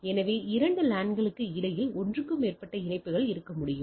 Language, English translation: Tamil, So that means, between two LAN there can there should be more than one connection